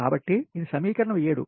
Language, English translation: Telugu, so this is equation seven